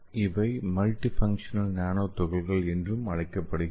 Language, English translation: Tamil, So this is a typical example of your multifunctional nanoparticles